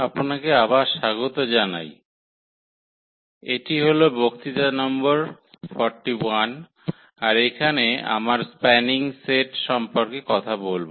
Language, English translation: Bengali, So, welcome back and this is lecture number 41 will be talking about this Spanning Set